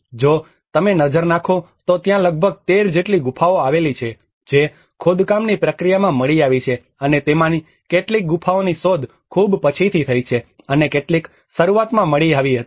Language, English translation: Gujarati, If you look at there are about 13 caves which has been discovered in the excavation process and some of them have been discovered much later and some were discovered in the beginning